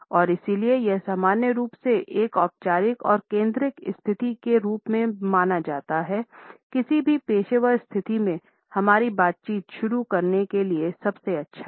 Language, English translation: Hindi, And therefore, it is normally treated as a formal and focused position; the best one to initiate our interactions in any given professional situation